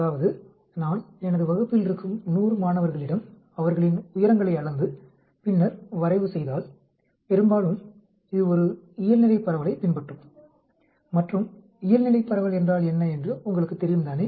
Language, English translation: Tamil, That means, if I take 100 students in my class and measure their heights and then plot it, in mostly it will follow a Normal distribution, and you know what is Normal Distribution